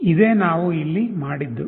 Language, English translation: Kannada, What we have done here is this